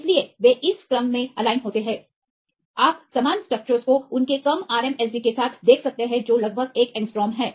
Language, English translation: Hindi, So, they also aligned well in the sequence you can see the similar structures with their less RMSD that is about one angstrom